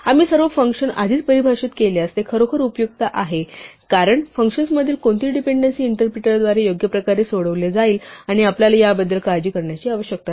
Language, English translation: Marathi, It’s really useful if we define all functions upfront because any inter dependency between functions will be resolved right way by the interpreter and we do not have to worry about it